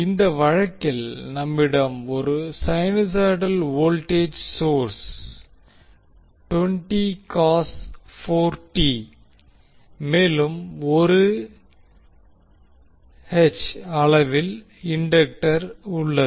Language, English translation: Tamil, In this case you will see that we have 1 sinusoidal voltage source or given by 20 cos 4t and we have the indictor of 1 Henry